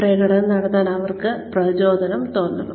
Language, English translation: Malayalam, They should feel motivated to perform